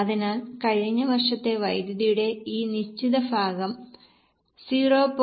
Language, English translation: Malayalam, So, this fixed portion of power last year's figure into 0